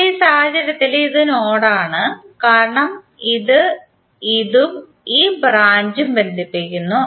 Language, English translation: Malayalam, Now in this case this is the node because it is connecting this and this branch